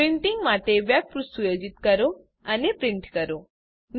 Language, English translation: Gujarati, * Setup the web page for printing and print it